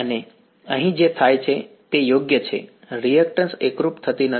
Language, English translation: Gujarati, And what happens over here is right the reactance does not seem to converge